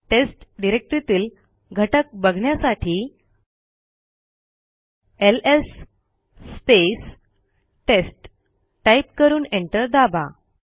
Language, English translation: Marathi, To see the contents inside test type ls test and press enter